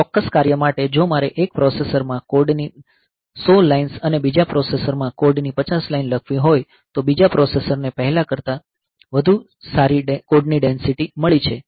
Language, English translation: Gujarati, If I for a particular function, if I have to write say 100 lines of code in one processor and 50 lines of code in another processor in the second processor has got a better code density than the first one